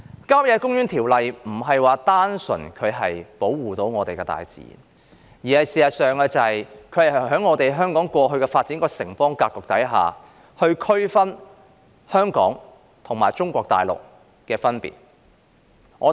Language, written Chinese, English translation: Cantonese, 《郊野公園條例》並非單純保護本港的大自然，而是在香港過去發展的城邦格局之下，區分香港與中國大陸。, The Country Parks Ordinance does not merely seek to protect the nature of Hong Kong . In the old days when Hong Kong was developed as a city - state this Ordinance also distinguished Hong Kong from the Mainland of China